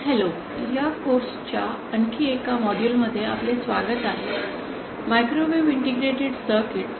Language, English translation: Marathi, Hello, welcome to another module of this course, microwave integrated circuits